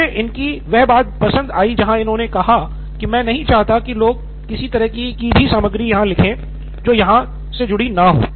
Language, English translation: Hindi, Like I like what he said, that I do not want people to keep writing some kind of content and does not belong here